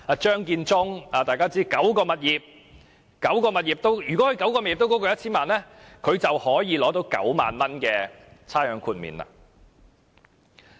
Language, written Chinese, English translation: Cantonese, 張建宗司長持有9項物業，如果那9項物業都超過 1,000 萬元，他便可獲豁免9萬元的差餉。, Chief Secretary Matthew CHEUNG has nine properties and if all his properties are worth over 10 million he will be exempted from paying 90,000 in rates